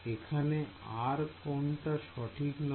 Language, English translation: Bengali, What else is not correct about it